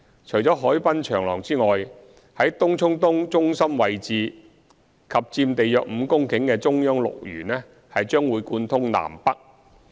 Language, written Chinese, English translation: Cantonese, 除海濱長廊外，在東涌東中心位置及佔地約5公頃的"中央綠園"將貫通南北。, Apart from the waterfront promenade located at the centre of TCE is a 5 hectare Central Green that will provide a north - south corridor